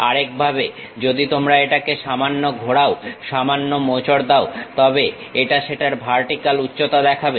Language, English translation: Bengali, In other way if you are slightly rotating twisting it, then it shows that vertical height of that